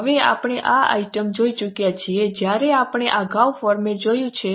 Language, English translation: Gujarati, Now we have already seen this item when we had seen the format earlier